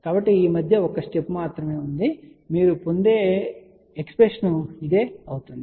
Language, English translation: Telugu, So, just one step in between, you simplify this is the expression you will get